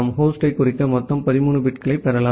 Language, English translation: Tamil, You can get a total of 13 bits to denote the host